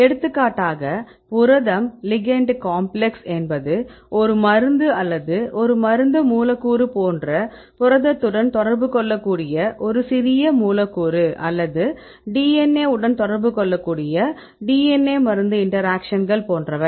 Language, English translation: Tamil, For example, a small molecule that may interact with a protein like protein ligand complex or a drug molecule can interact with a DNA like the DNA drug interactions that is so on